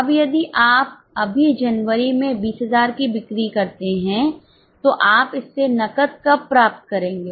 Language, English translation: Hindi, Now if you just take the sale of January, 20,000, when will you receive cash from it